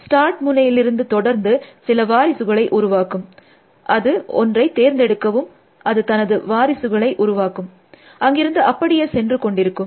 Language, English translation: Tamil, It will take go from the start node, it will generate some successors, it will choose one, it will generate the successors, it will go there and so on